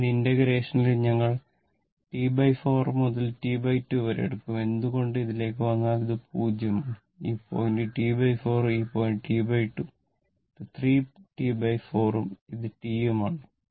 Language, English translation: Malayalam, So, we will take it integration will take T 4 T by 4 to T by 2 why, if you come to this if you come to this, this is if we take this is 0, then this point is T by 4 and this point is T by 2 and this is 3 T by 4 and this is T